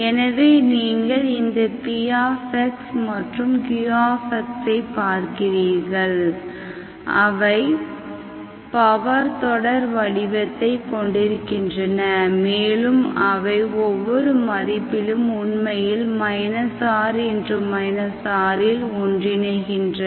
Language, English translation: Tamil, So you look at this px and qx, they are having power series representations, they have power series, p and q, and they actually Converges in minus R to R at every value, for some R positive